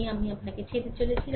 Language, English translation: Bengali, This is I am leaving up to you